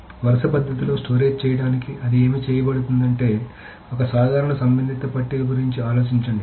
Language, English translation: Telugu, So what does it say to stored in a row manner is that think of a typical relational table